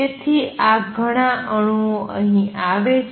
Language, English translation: Gujarati, So, that lot of atoms comes here